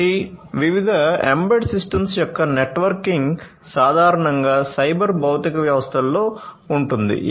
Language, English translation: Telugu, So, the networking of different embedded systems will typically exist in a cyber physical system